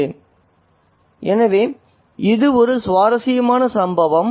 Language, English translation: Tamil, So, this is the interesting incident